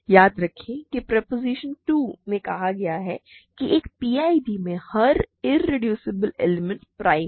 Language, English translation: Hindi, Remember proposition 2 said in an in a PID every irreducible element is prime